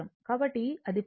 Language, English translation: Telugu, So, once it is done